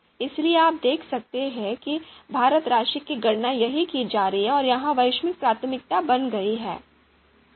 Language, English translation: Hindi, So you can see this weighted sum is being computed here and that becomes the global priority